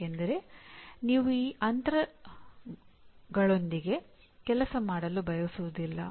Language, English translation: Kannada, Because you do not want to work with those gaps